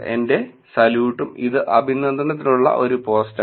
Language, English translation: Malayalam, My salute and this is post for appreciation